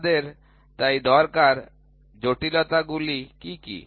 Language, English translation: Bengali, We need so, what are the complexities